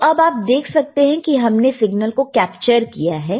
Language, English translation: Hindi, So, you see you have now captured the signal